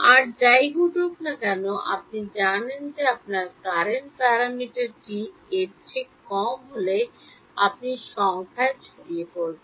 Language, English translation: Bengali, Whatever else happens, you know that if your courant parameter is less than 1 you will phase numerical dispersion